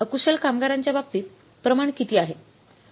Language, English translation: Marathi, What is a skilled number of workers